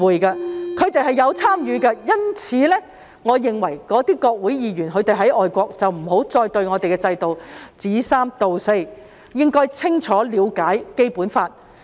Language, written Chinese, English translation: Cantonese, 由於他們是有參與的，我認為外國的國會議員不要再對我們的制度說三道四，應要清楚了解《基本法》。, Since they are involved I think Members of overseas parliaments should not make arbitrary criticisms against our system but should understand the Basic Law thoroughly